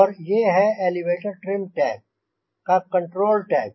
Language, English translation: Hindi, this is the elevator trim tab